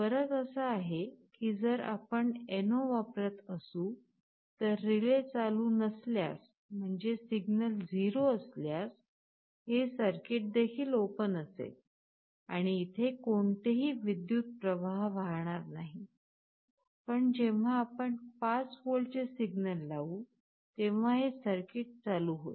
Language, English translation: Marathi, The difference is that if we use NO then when the relay is not on; that means, the signal is 0, this circuit will also be open and there will be no current flowing, but when we apply a signal of 5 volts, this circuit will be turning on